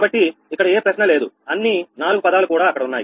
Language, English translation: Telugu, so here, no question, all four terms are there